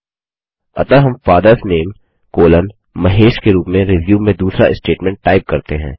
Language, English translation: Hindi, So we type the second statement in the resume as FATHERS NAME colon MAHESH